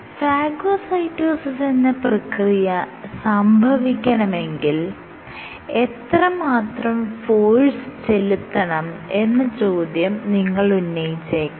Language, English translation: Malayalam, You might also ask that how much force is required for phagocytosis